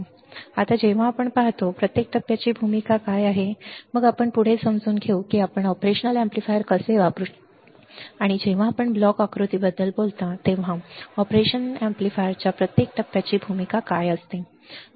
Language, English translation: Marathi, Now, when we see; what is the role of each stage, then we will understand further that how we can use the operation amplifier and what is the role of each stage of the operational amplifier when you talk about the block diagram